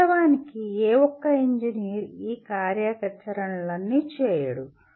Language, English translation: Telugu, Of course, any single engineer will not be doing all these activity